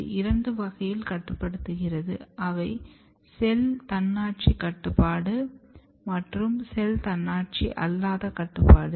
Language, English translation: Tamil, So, there are two way of regulation one regulation is that which is called cell autonomous regulation or non cell autonomous regulation